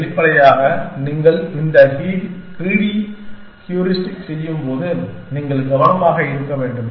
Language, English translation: Tamil, Obviously, when you are doing this greedy heuristic, you have to be careful that